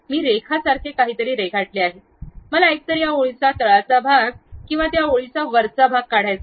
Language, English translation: Marathi, I have drawn something like line; I want to either remove this bottom part of that line or top part of that line